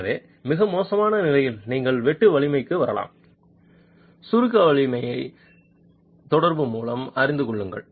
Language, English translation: Tamil, So, in the worst case you can arrive at the sheer strength knowing the compressive strength by correlation